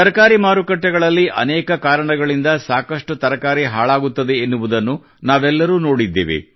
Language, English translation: Kannada, All of us have seen that in vegetable markets, a lot of produce gets spoilt for a variety of reasons